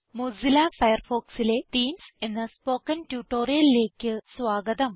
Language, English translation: Malayalam, Welcome to this spoken tutorial on Themes in Mozilla Firefox